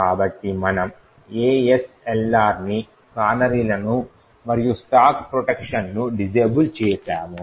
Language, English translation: Telugu, So we have disabled ASLR, we have disabled canaries, as well as we have disabled the stack protection